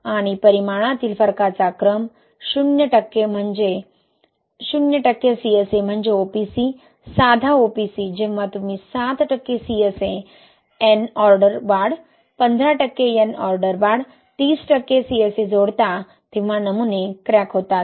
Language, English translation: Marathi, And order of magnitude difference, zero percent CSA is OPC, plain OPC, when you add seven percent CSA n order increase, fifteen percent n order increase, right, thirty percent CSA, the samples cracked, right